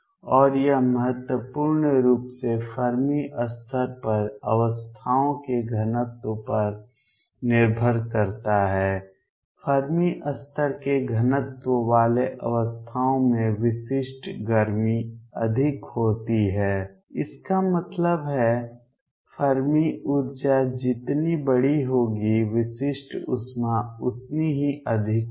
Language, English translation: Hindi, And it depends crucially on density of states at the Fermi level, larger the density states of the Fermi level more the specific heat; that means, larger the Fermi energy more the specific heat